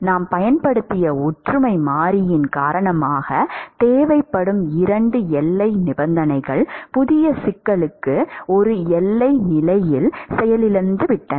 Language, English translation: Tamil, Because of the similarity variable that we have used, 2 boundary conditions that is required they have crashed into one boundary condition for the new problem